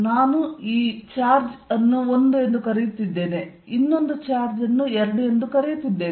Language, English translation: Kannada, I am calling this charge 1, I am calling this charge 2